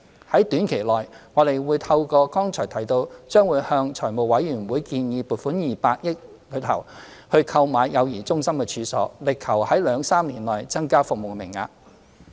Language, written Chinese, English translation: Cantonese, 在短期內，我們會透過剛才提到將會向財務委員會建議撥款的200億元中，購買幼兒中心的處所，力求在兩三年內增加服務名額。, In the short term we will submit the 200 million funding application to the Finance Committee as I mentioned just now for the purchase of premises for child care centres striving to increase the service quota in two to three years